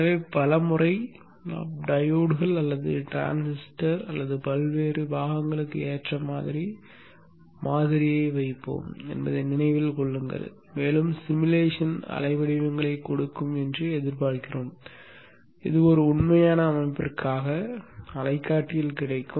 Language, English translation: Tamil, So remember that many a times we will put kind of idealized model for the diures or the transistors or the various components and expect the simulation to give waveforms which you would get on the oscilloscope of a real system